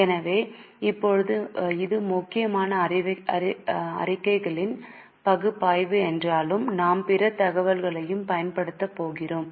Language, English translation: Tamil, So, now though it is mainly analysis of statements, we are also going to use other information